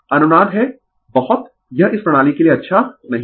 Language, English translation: Hindi, Resonance is very it is not good for this system right